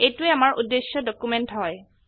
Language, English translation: Assamese, This is our target document